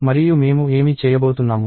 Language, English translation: Telugu, And what am I going to do